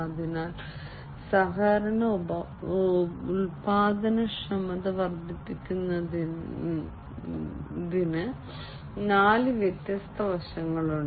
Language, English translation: Malayalam, So, there are four different aspects of increase in the collaboration productivity